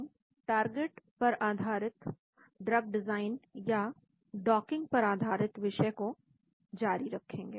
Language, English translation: Hindi, we will continue on the topic of target based drug design or related to docking